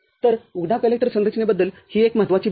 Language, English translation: Marathi, So, this is one important thing about open collector configuration